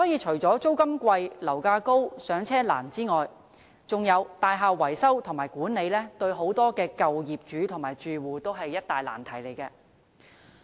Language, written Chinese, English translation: Cantonese, 除了租金貴、樓價高和"上車難"外，大廈維修和管理對於很多舊樓業主和住戶也是一大難題。, Apart from high rents high property prices and the difficulty in home purchase building maintenance and management also presents a huge problem to many owners and tenants of old buildings